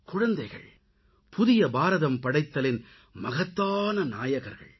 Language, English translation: Tamil, Children are the emerging heroes in the creation of new India